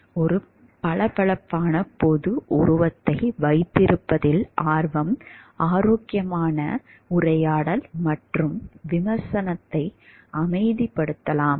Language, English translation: Tamil, Preoccupation with keeping a shiny public image may silence healthy dialogue and criticism